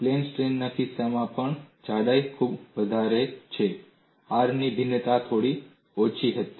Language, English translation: Gujarati, In the case of a plane strain, where the thickness is very large, the variation of R was slightly shallow